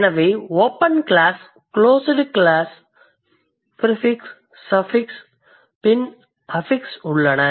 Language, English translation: Tamil, So, open class, closed class, then prefix, suffix, then we have affixes